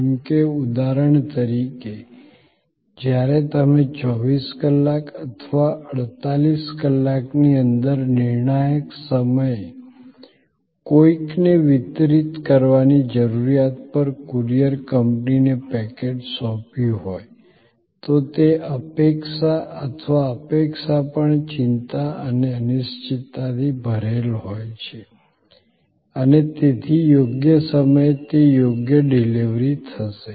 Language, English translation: Gujarati, Like for example, when you have handed over a packet to the courier company at needs to be delivered to somebody at a critical point of time within 24 hours or 48 hours and so on, that expectation or anticipation is also full of anxiety and uncertainty and so on about that correct delivery at correct time